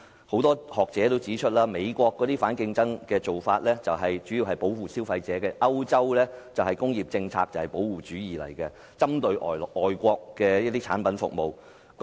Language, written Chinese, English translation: Cantonese, 很多學者也指出，美國的反競爭措施主要保護消費者，歐洲的工業政策同樣是保護主義，針對外國的產品和服務。, Many academics point out that the measures against anti - competitive acts in the United States seek mainly to protect consumers and the industrial policies of Europe are likewise protectionist in nature but targeting mainly on imported products and services